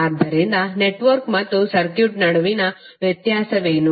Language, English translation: Kannada, So what are the difference between network and circuit